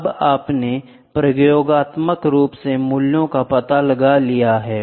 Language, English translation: Hindi, Now, you have experimentally found out the values